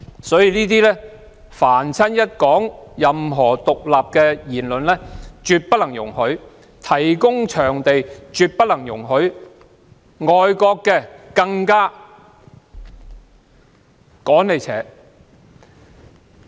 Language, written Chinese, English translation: Cantonese, 所以，任何有關獨立的言論都不能容許，提供討論場地亦不能容許，外國機構也要趕出去。, Therefore all remarks about independence cannot be allowed the provision of venues for discussion is not allowed and even foreign institutions have to be driven away